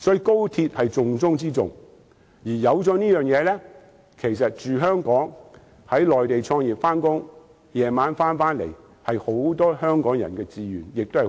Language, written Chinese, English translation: Cantonese, 高鐵是重中之重，有了高鐵後，居住在香港，在內地創業上班，晚上回到香港是很多香港人和年青人的志願。, The express rail link is very important . With the commissioning of the express rail link many Hong Kong people and youngsters will consider it a desirable lifestyle to live in Hong Kong start up business on the Mainland work there and return to Hong Kong in the evening